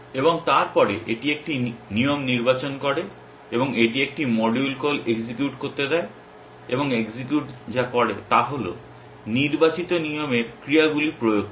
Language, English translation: Bengali, And then so, its selects a rule and gives it to a module call execute and what is execute does is to applies the actions of selected rule